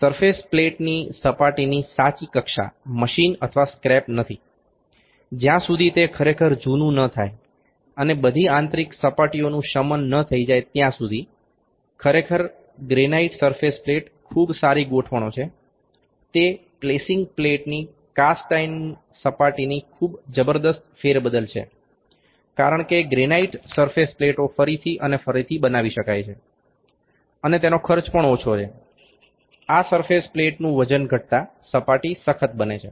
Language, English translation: Gujarati, Also the true plane of the surface of the surface plate is not machine or scrap until it has really aged and all the internal surfaces have subsided; actually the granite surface plate is a very good adjustments, it is very tremendous replacement of the cast iron surface of the placing plates, because granite surface plates can be grounded again and again and also the cost is that less weight is lesser this surface plate, the surface is hard